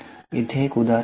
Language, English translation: Marathi, So, here is an example